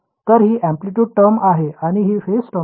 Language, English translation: Marathi, So, this is the amplitude term and this is the phase term